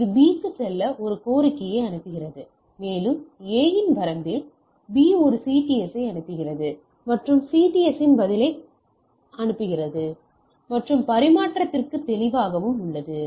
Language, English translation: Tamil, So, this is A send a request to tell me to B and in the range of A so, B sends a CTS and responses CTS clear to transmission and transmits